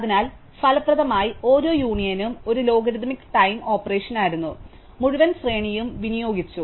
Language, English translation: Malayalam, So, effectively each union was a logarithmic time operation, amortised over the entire sequence